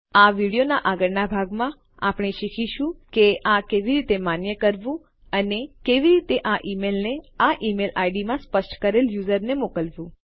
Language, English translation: Gujarati, In the next part of this video we will learn how to validate this and eventually send this mail to the user specified in this email id here